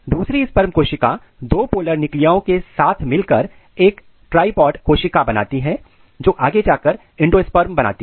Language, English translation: Hindi, Another sperm cell it goes and fuses with the polar nuclei two polar nuclei and it makes a triploid cells which eventually generates the endosperm